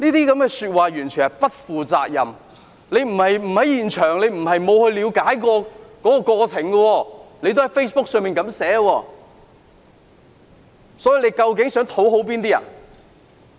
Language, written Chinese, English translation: Cantonese, 這些說話完全不負責任，他不是不在現場，不是沒有了解過程，卻在 Facebook 這樣寫，他究竟想討好哪些人？, Such comments were totally irresponsible . He was at the scene and he witnessed the whole incident but he wrote such comments in Facebook . Who on earth did he want to appease?